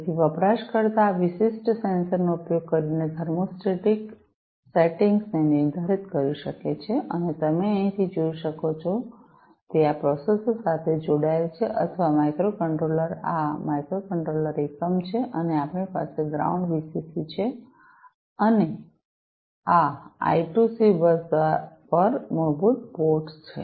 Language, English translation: Gujarati, So, the user can define the thermostatic settings using this particular sensor and as you can see over here, it is connected to this processor or the microcontroller this is this microcontroller unit and we have the ground, the VCC, and these are basically the ports on the I2C bus